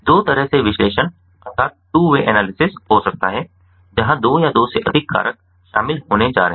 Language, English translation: Hindi, could be two way analysis, where two or more or two factors are going to be involved